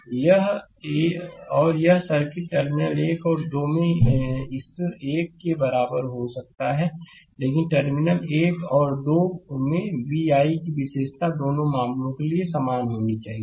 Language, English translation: Hindi, And this circuit can be equivalent to this one at terminal 1 and 2, but v i characteristic at terminal one and two has to be same for both the cases right